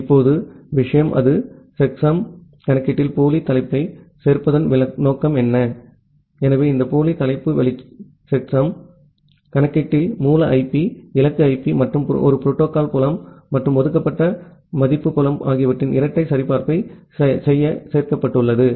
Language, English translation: Tamil, Now, the thing is that; what is the purpose of including the pseudo header in the checksum computation; so this pseudo header is included in the checksum computation just to do a double validation of the source IP, destination IP and a protocol field, and a reserved value field